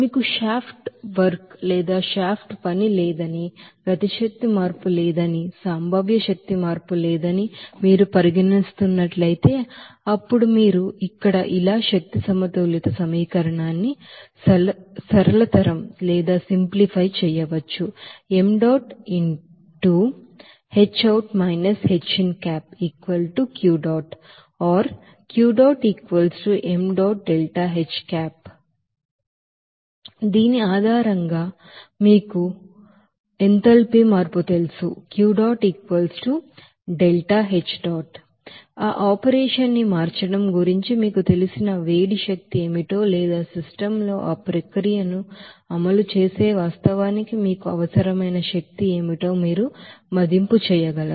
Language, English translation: Telugu, And finally, if you are considering that there is no you know shaft work, there is no kinetic energy change, there is no potential energy change, then you can simplify that energy balance equation as like this here and based on this you know enthalpy change you will be able to assess that what will be the you know heat energy required to you know change that operation or what would be the energy required for the you know actually that execute that process there in the system